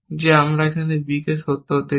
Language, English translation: Bengali, On a b is also true